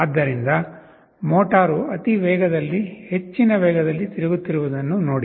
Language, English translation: Kannada, So, see the motor is rotating at a very high speed, high speed